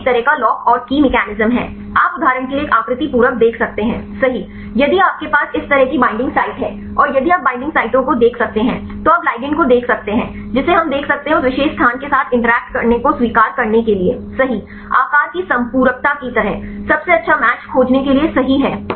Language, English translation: Hindi, It is a kind of lock and key mechanism, you can see a shape complementarity right for example, if you have a binding site like this, and if here you can see the binding sites right then you can find the ligand which right we can see to accept right to interact with that particular place, like the shape complementarity right to find the best match right